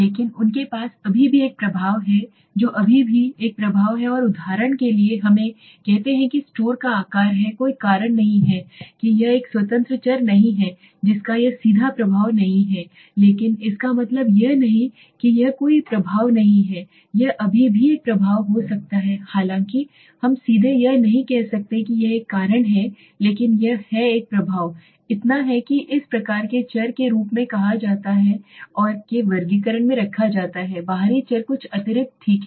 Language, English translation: Hindi, But they do still have an impact they still have an impact and for example let us say store size is not a cause it is not an independent variable it is not directly effecting but it does not mean it has no effect it may still have a effect so that is although we cannot say directly it is a cause but it has an impact so that is these kinds of variables are termed as and are put in the classification of extraneous variables something extra okay